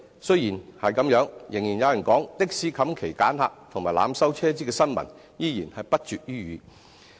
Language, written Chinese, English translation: Cantonese, 雖然如此，仍然有人說，的士"冚旗揀客"及濫收車資的新聞依然不絕於耳。, Despite the above measures some people say that there are still many malpractices in the trade including refusing hire or selecting passengers and overcharging taxi fares